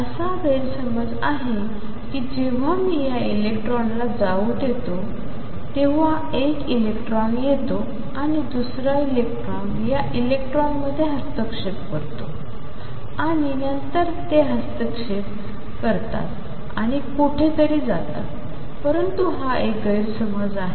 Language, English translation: Marathi, The misconception is that when I let these electrons go through one electron comes and the second electron interferes with this electron and then they interfere and go somewhere that is a misconception